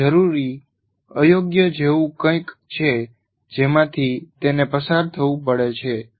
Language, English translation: Gujarati, So it is something like a necessary evil through which he has to go through